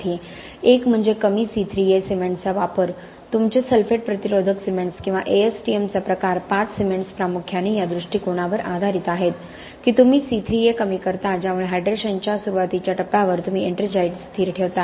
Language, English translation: Marathi, One is obviously the use of low C3A cements your sulphate resistant cements or type 5 cements as far as ASTM is concerned are primarily based on this approach that you lower the C3A because of which at the early stages of hydration you keep the ettringite stable